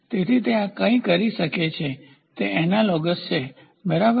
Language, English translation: Gujarati, So, it can go something like this it is analogous, ok